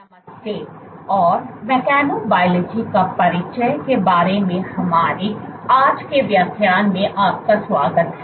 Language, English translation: Hindi, Hello and welcome to our today’s lecture of Introduction to Mechanobiology